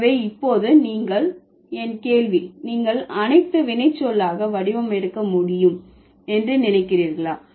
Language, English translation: Tamil, So, now my question for you would be, do you think all verbs can take able form